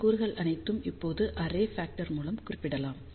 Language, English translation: Tamil, All of these elements now can be represented by single array factor